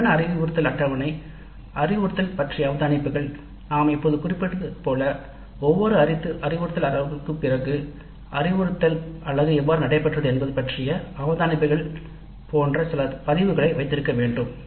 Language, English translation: Tamil, Then the actual instructions schedule, then observations on instruction, as we just now after every instructional unit we must have some observations recorded regarding how the instruction unit went and all these issues